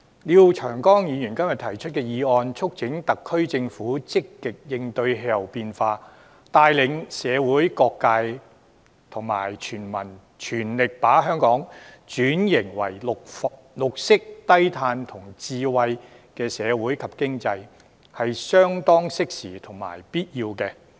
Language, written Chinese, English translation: Cantonese, 廖長江議員今天提出的議案，促請特區政府積極應對氣候變化，帶領社會各界及全民全力把香港轉型為綠色低碳智慧型社會及經濟，這是相當適時及必要的。, The motion proposed by Mr Martin LIAO today urges the SAR Government to cope with climate change proactively lead various social sectors and all people to fully transform Hong Kong into a green and low - carbon smart society and economy . This motion comes up at an appropriate time and is an essential one